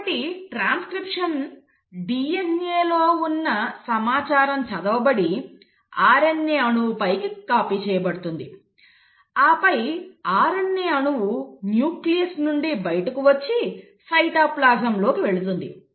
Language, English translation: Telugu, So in transcription, what is happening is that the information which is present in the DNA is read and copied onto an RNA molecule, and then the RNA molecule moves out of the nucleus into the cytoplasm